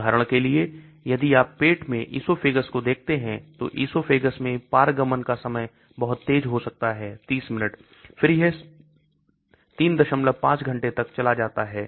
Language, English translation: Hindi, So for example if you look at the esophagus in stomach, transit time in esophagus could be very fast 30 minutes, then it goes to 3